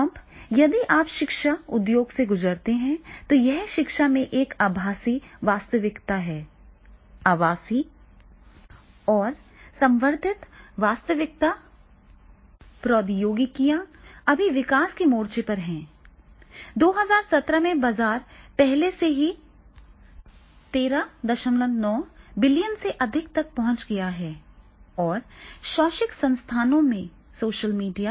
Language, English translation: Hindi, Now, if you go through the education industry, so it is the virtual reality in education, virtual and augmented reality technologies are at the frontier of the development right now, the market is forecast to has already reached to the more than 13